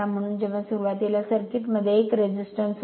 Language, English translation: Marathi, So initially, when this initially there was 1 resistance in the circuit